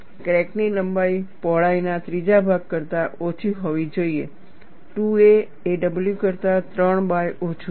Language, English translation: Gujarati, The length of the crack should be less than one third of the width; 2 a is less than w by 3